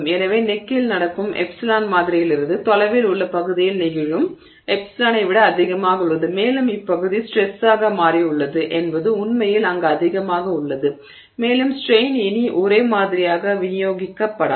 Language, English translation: Tamil, So, if epsilon dot at the happening at the neck is greater than the epsilon dot that is occurring at regions away from the sample and that's got simply to do with the fact that the, you know, region has become thin, stress is actually higher there and the strain is no longer strain is no longer uniformly distributed